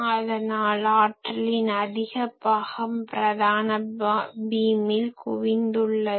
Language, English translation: Tamil, So, most of the power is concentrated into the main beam